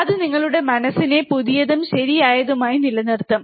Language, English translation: Malayalam, That will keep your mind a fresh, right